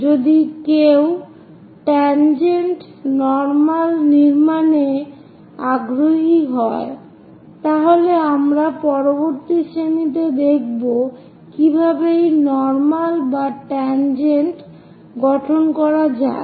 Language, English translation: Bengali, If one is interested in constructing tangent normal, we will see in the next class how to construct this normal and tangent